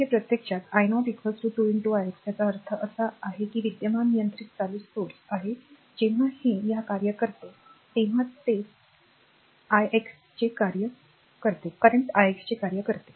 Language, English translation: Marathi, So, this actually that i 0 is equal to 2 into i x so; that means, it is current controlled current source whenever this is function of this one it is function of current i x